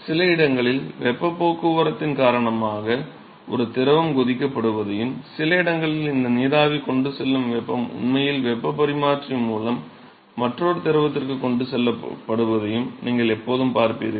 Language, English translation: Tamil, So, you will always see that at some location a fluid is being boiled because of heat transport and in some location the heat that is carried by this steam is actually transported to another fluid through heat exchanger where the steam is actually condensing